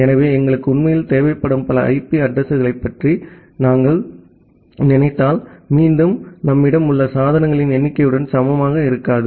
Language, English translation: Tamil, So, if you think about a number of IP addresses that we actually require is again not equal to the number of devices that we have